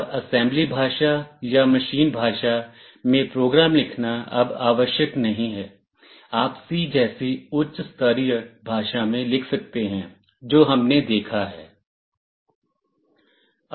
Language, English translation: Hindi, And it is no longer necessary to write programs in assembly language or machine language, you can write in a high level language like C that we have seen